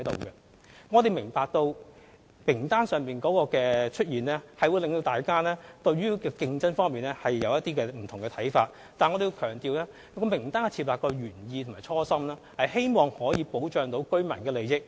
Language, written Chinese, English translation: Cantonese, 當局明白到參考名單會令市民對競爭有不同的看法，但我們要強調，設立參考名單的原意及初衷是希望保障居民的利益。, The authorities understand that the Reference List may cause people to form different opinions on competition but we must emphasize that the original intention and aim of compiling the Reference List was to protect residents interests